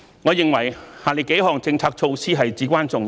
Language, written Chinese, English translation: Cantonese, 我認為下列幾項政策措施至關重要。, In my view the following several policy measures are of utmost importance